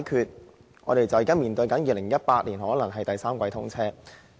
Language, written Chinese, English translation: Cantonese, 現在，局長說目標是在2018年第三季通車。, The Secretary now says that the target is to have it commissioned in the third quarter of 2018